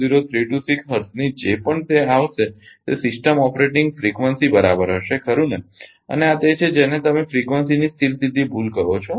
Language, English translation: Gujarati, 00326 hertz whatever it comes that will be the system operating frequency right and this is your what you call that steady state error of the frequency